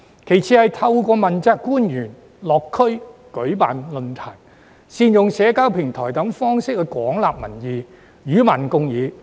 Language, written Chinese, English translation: Cantonese, 其次是透過問責官員落區舉辦論壇、善用社交平台等方式廣納民意，與民共議。, The second proposal is for accountability officials to extensively collect public views and hold discussions with the public by way of participating in forums in various districts and utilizing social platforms